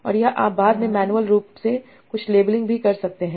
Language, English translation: Hindi, And this is you can also do some labeling later on manually